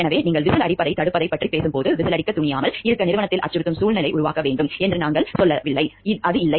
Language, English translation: Tamil, So, what when you are talking of preventing of whistle blowing, we are not telling like we should create a threat environment in the organization so that people do not dare to blow the whistle it is not that